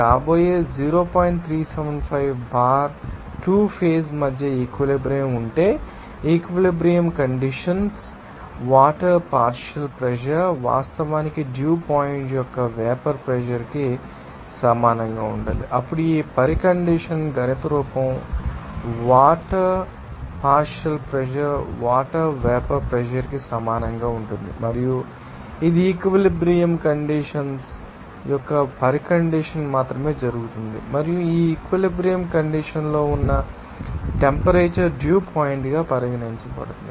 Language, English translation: Telugu, 375 bar now, if the equilibrium between the 2 phases, that the saturated condition, the partial pressure of water, Of course, must be equal to the vapour pressure of the dew point then this condition the mathematical form can be expressed as like this partial pressure of water will be equal to vapor pressure of water and this will happen only the condition of saturated condition and the temperature at that saturated condition will be regarded as you know dew point